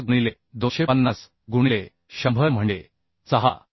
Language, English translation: Marathi, 5 into 250 by 100 that means 6